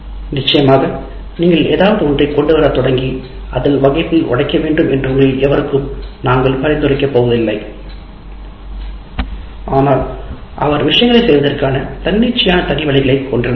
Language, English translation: Tamil, So, of course, you are not, we are not going to recommend to any of you that you should start bringing something and break it in the class, but he had his way of doing things